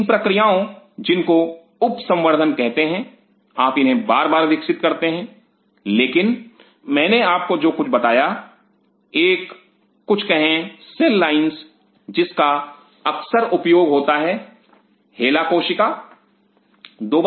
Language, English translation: Hindi, These processes called sub culturing your continuously growing them, but I told you something and one such say line which is very commonly used call ‘Hela’ cell